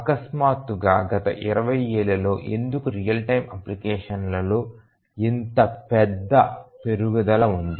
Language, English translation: Telugu, So, then why suddenly in last 20 years there is such a large increase in the real time applications